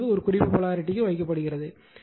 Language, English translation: Tamil, So, and dot is marked here in the reference polarity plus